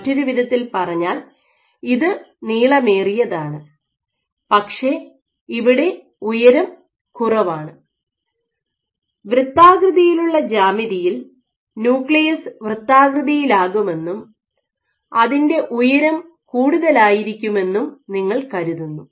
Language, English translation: Malayalam, So, in other words it is elongated and its height is less here for the rounded geometry you would assume that the nucleus would also be rounded and its height will be more